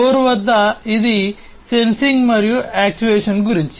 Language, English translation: Telugu, At the very core of it, it is about sensing and actuation